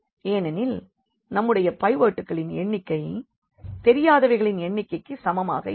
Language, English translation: Tamil, So, the number of pivots here is equal to number of unknowns